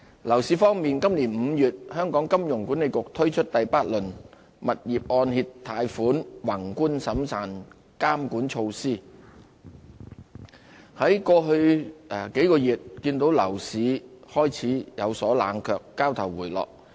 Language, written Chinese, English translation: Cantonese, 樓市方面，今年5月香港金融管理局推出第八輪物業按揭貸款宏觀審慎監管措施，在過去數個月，看到樓市開始有所冷卻，交投回落。, Regarding the property market the Hong Kong Monetary Authority implemented the eighth round of macro - prudential measures for residential property mortgage lending in May this year . Over the past few months the property market has started to cool down with lower trading activities